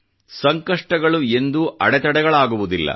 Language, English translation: Kannada, Hardships can never turn into obstacles